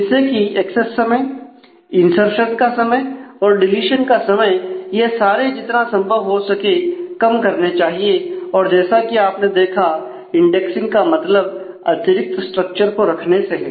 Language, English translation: Hindi, So, that the access time the insertion time the deletion time all these should get as minimized as possible and as you have just seen indexing might mean maintaining additional structures